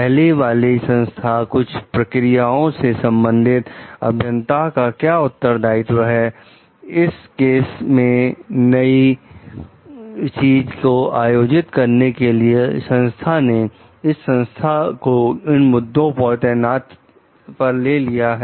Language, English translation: Hindi, The earlier organization regarding some of the procedures, what are the responsibilities of the engineer in this case to make the new organize, new organization just taken this organization over about those issues